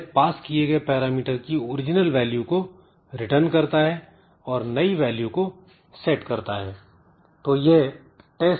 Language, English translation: Hindi, It returns the original value of past parameter and it set the new value of past parameter to true